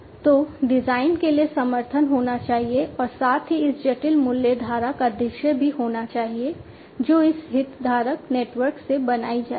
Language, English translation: Hindi, So, there should be support for the design as well as the visualization of this complex value stream that will be created from this stakeholder network